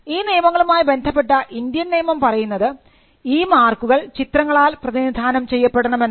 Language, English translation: Malayalam, The law in India with regard to this is that the marks need to be graphically represented